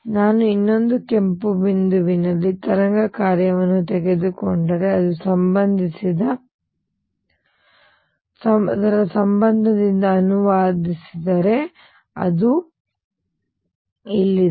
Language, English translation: Kannada, If I take the wave function on the other red point translate it by a the relationship is given, that is here